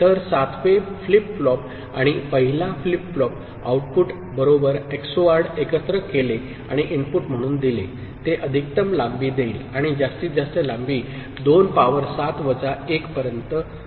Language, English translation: Marathi, So, 7th flip flop and the 1st flip flop output right, XORed together and fed as input, it will give a maximal length and maximum maximal length will be 2 to the power 7 minus 1